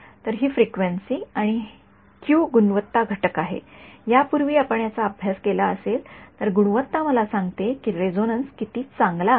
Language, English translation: Marathi, So, that is the frequency and the Q the quality factor right that tells me if you have studied this before the quality tells me how good the resonance is